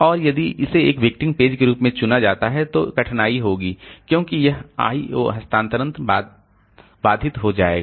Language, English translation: Hindi, And if this is selected as a victim page then there will be difficulty because this I